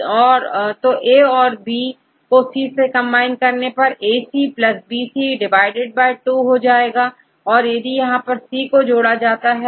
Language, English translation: Hindi, To combine A B with C they take the AC plus BC by 2 because this is a C you have to combine